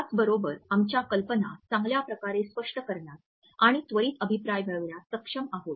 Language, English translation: Marathi, At the same time we are able to explain our ideas in a better way and get an immediate feedback also